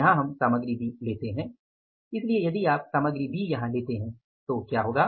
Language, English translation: Hindi, Material B here we take the material B